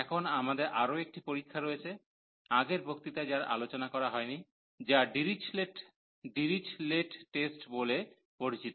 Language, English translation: Bengali, Now, we have one more test, which was not discussed in the previous lecture that is called the Dirichlet’s test